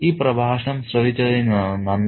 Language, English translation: Malayalam, Thank you for listening